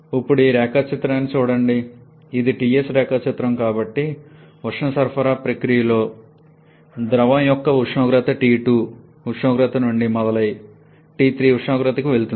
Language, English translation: Telugu, Now look at this diagram, it is a Ts diagram so the during the heat addition process, the temperature of the fluid starts from temperature T2 and moves on to temperature T3